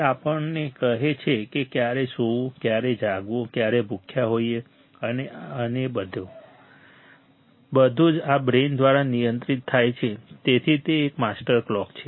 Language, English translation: Gujarati, It tells us when to sleep, when to be awake, when we are hungry, this and that, everything is controlled by this brain right; it is a master clock